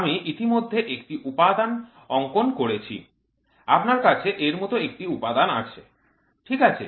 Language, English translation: Bengali, I already drew a component you can have a component something like this, ok